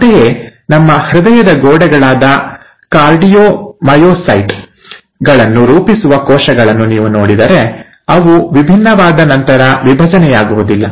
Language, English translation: Kannada, Similarly, if you look at the cells which form the walls of our heart, the cardiomyocytes, they do not divide after they have differentiated